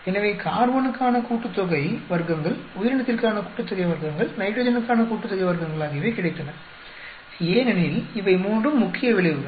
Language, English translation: Tamil, So, we got sum of squares for carbon, sum of squares for organism, sum of squares for nitrogen because these are the three main effects